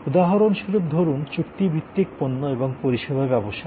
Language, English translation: Bengali, For example, say the contractual goods and services